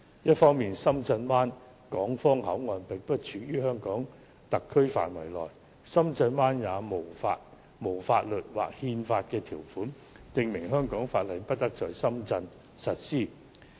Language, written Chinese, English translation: Cantonese, 一方面，深圳灣港方口岸並不處於香港特區範圍內，深圳也沒有法律或憲法條款，訂明香港法例不得在深圳實施。, On the one hand the Shenzhen Bay Port is not situated within the HKSAR . And there is no legal or constitutional provision in Shenzhen to the effect that no Hong Kong law shall apply in Shenzhen